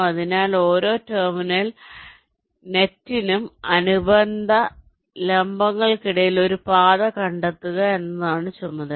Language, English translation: Malayalam, so for every two terminal net the task is to find a path between the corresponding vertices like